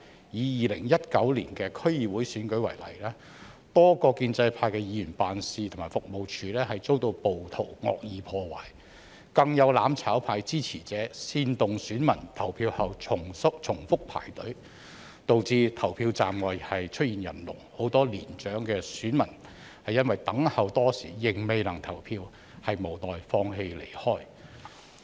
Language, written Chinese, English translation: Cantonese, 以2019年的區議會選舉為例，多個建制派的議員辦事和服務處遭暴徒惡意破壞；更有"攬炒派"支持者煽動選民投票後重複排隊，導致投票站外出現人龍，很多年長選民因等候多時仍未能投票，無奈放棄離開。, In the 2019 District Council Election for example a number of pro - establishment Members offices and service locations were vandalized by rioters . Some supporters of the mutual destruction camp even incited voters to queue up again after voting resulting in long queues emerging outside polling stations . Many elderly voters having waited for a long time but still failed to cast their votes had no choice but gave up and left